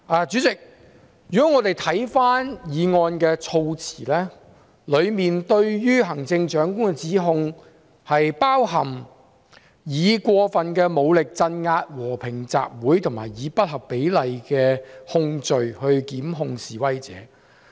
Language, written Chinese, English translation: Cantonese, 主席，我們看回議案的措辭，當中對於行政長官的指控包括"採用過份武力鎮壓和平集會"和"以不合比例的控罪打壓示威者"。, President let us look at the wording of the motion again . The allegations against the Chief Executive include use of excessive force to crack down on peaceful assembly and intimidating protestors with disproportionate criminal charges